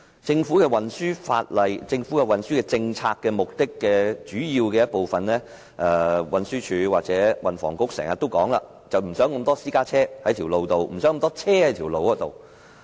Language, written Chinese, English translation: Cantonese, 政府運輸政策的主要目標之一，是運輸署和運輸及房屋局經常強調的減少路面上的私家車，減少路面上的車輛。, One major objective of the Governments transport policy is to reduce the number of cars and vehicles on roads as always emphasized by the Transport Department TD and the Transport and Housing Bureau